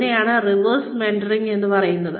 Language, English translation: Malayalam, That is called reverse mentoring